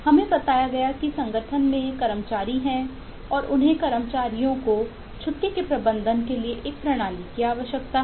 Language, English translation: Hindi, we were told that the organization has eh employees and they need a system to manage the leave of their employees